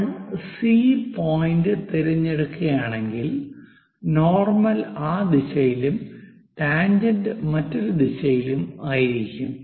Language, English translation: Malayalam, If we are picking C point normal will be in that direction, tangent will be in other direction